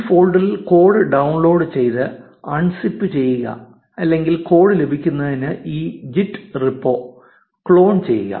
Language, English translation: Malayalam, Download the code in a folder and unzip it or clone this git repo to get the code